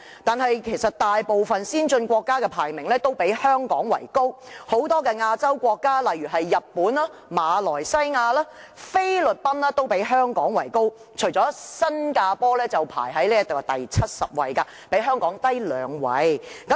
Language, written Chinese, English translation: Cantonese, 但其實大部分先進國家的排名均較香港為高，很多亞洲國家，例如日本、馬來西亞和菲律賓的排名均高於香港，除了新加坡排名第七十位，較香港低兩位。, Actually the rankings of most advanced countries are higher than that of Hong Kong . In Asia quite a number of countries such as Japan Malaysia and the Philippines enjoy higher rankings than Hong Kongs . One exception is Singapore which ranks 70 two places below Hong Kong